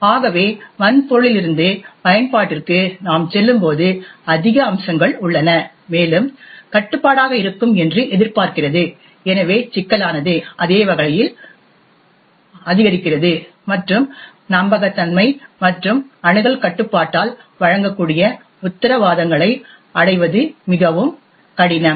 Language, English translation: Tamil, So as we move from the hardware to the application there are more aspects and more finer expects to be control, so the complexity increases the same way and also the reliability and the guarantees that can be provided by the access control is more difficult to achieve